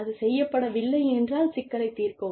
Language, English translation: Tamil, And, if it is not done, then address the issue